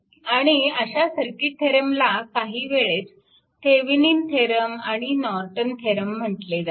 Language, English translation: Marathi, And, so such theorems are called sometime Thevenin’s theorem and Norton’s theorem right